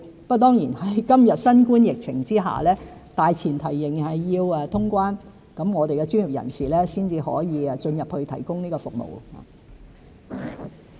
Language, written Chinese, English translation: Cantonese, 不過，在今日新冠疫情之下，大前提仍然是要通關，我們的專業人士才可以進入大灣區提供服務。, However under the current circumstances of the COVID - 19 epidemic the premise remains that cross - boundary travel has to be resumed before our professionals can access GBA to provide services